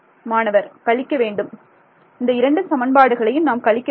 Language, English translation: Tamil, Subtract these two equations